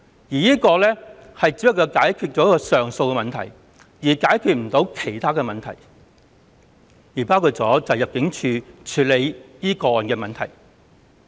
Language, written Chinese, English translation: Cantonese, 現在建議的做法只能解決上訴的問題，但無法解決其他問題，包括入境處如何處理這些個案的問題。, The present proposal can only address the appeal problem but not the other problems including how ImmD is going to handle such cases